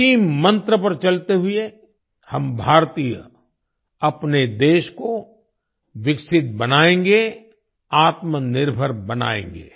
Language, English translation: Hindi, Adhering to this mantra, we Indians will make our country developed and selfreliant